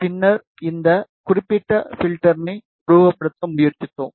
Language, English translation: Tamil, And then, we tried to simulate this particular filter